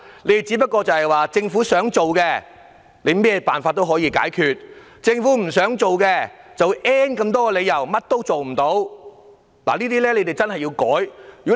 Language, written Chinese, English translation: Cantonese, 其實如果政府想做的話，無論用甚麼辦法問題總也可以解決；政府不想做的話，理由便有 "N" 個，最終一事無成。, Actually if the Government does want to do it the problem can be resolved with whatever means it takes . But if the Government does not really want to do it there will be numerous excuses to account for that with nothing achieved in the end